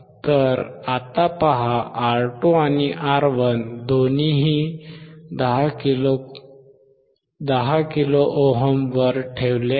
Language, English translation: Marathi, So, right now see R2 and R1 both are kept at 10 kilo ohm